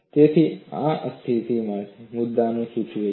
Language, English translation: Gujarati, So, this indicates the point of instability